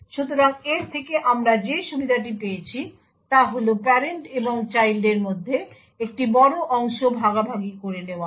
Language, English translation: Bengali, So, the advantage we obtained from this is that a large portion between the parent and the child is shared